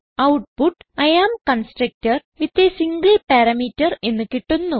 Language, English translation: Malayalam, We get the output as I am constructor with a single parameter